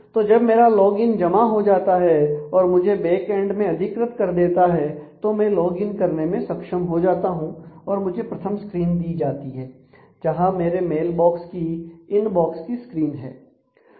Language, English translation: Hindi, So, when my login submission goes it is authenticated in the backend I am able to login and I am given back the first screen of my mail box which is the inbox screen